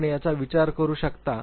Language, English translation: Marathi, You can think of this